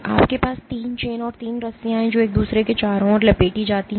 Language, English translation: Hindi, You have 3 chains, 3 ropes which are wrapped around each other